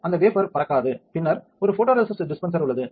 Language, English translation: Tamil, So, that wafer will not fly and then there is a photoresist dispenser